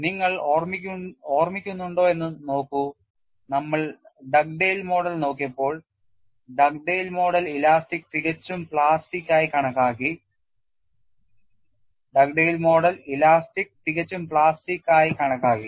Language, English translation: Malayalam, See if you recall, when we had looked at Dugdale’s model, Dugdale model considered elastic perfectly plastic